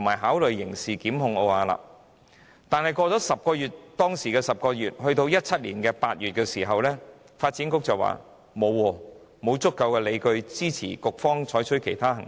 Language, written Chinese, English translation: Cantonese, 可是，事件經過10個月後，到了2017年8月，發展局卻說沒有足夠理據支持局方採取其他行動。, Nonetheless 10 months had passed after the incident and in August 2017 the Development Bureau said there were insufficient justifications to take other actions